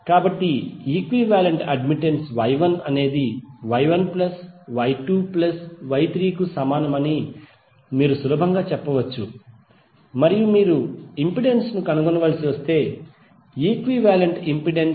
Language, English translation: Telugu, So you can easily say that the equivalent admittance Y is equal to Y1 plus Y2 plus Y3 and if you have to find out the impedance then the equivalent impedance Z would be 1 by Y